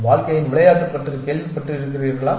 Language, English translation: Tamil, Have you heard about the game of life